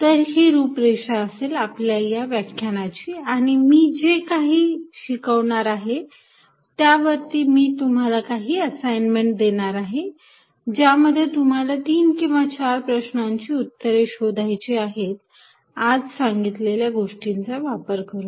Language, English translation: Marathi, This is the program for this lecture and based on what we cover today I am also going to give you an assignment, where you solve three or four problems employing these concepts